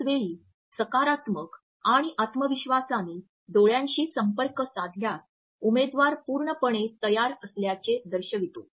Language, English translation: Marathi, At the same time making eye contact in a positive and confident manner sends the message that the candidate is fully prepared